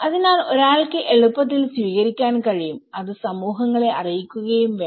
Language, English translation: Malayalam, So one has, can easily adopt and it has to be furthered informed to the communities